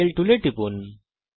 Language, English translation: Bengali, Click on the Angle tool..